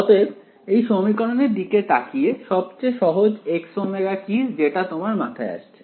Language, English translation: Bengali, So, looking at this equation what is the simplest X omega you can think off